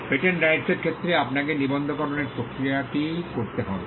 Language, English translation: Bengali, Patent Rights, you need to go through a process of registration